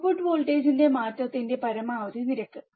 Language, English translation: Malayalam, Maximum rate of change of output voltage